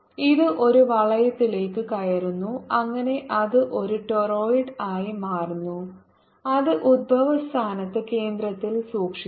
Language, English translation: Malayalam, it is bent into a ring so that it becomes a torrid which is kept at center, at the origin